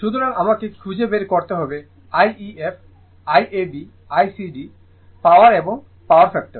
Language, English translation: Bengali, So, you have to find out I ef, I ab, I cd, power and power factor